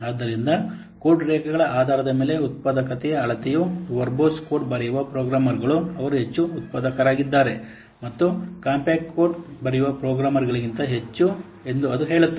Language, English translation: Kannada, So it says that measure of the productivity based on line shape code is suggest that the programmers who are writing verbose code, they are more productive and than the programmers who write compact code